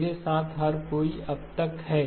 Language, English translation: Hindi, Everyone with me so far